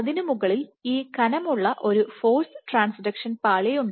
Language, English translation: Malayalam, On top of which, this layer was more thicker you had a force transduction layer